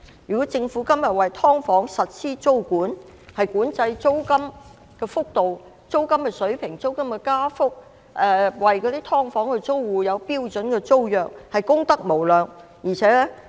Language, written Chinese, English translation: Cantonese, 如果政府今天為"劏房"實施租管，管制租金的水平和加幅，並為"劏房"租戶訂立標準租約，便功得無量。, If the Government imposes tenancy control over subdivided units now controlling the level of and increase in rent and formulating a standard tenancy agreement for tenants of subdivided units it will do immeasurable good